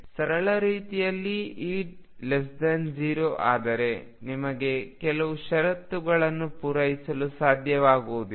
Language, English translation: Kannada, In a simple way if E is less than 0 you would not be able to satisfy certain conditions